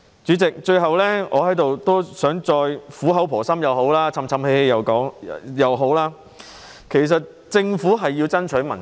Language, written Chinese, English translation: Cantonese, 主席，最後，我想在這裏苦口婆心的說，就是嘮叨也好，政府需要爭取民心。, President finally I would like to give some earnest advice though it may sound like nagging . The Government has to win the hearts and minds of the people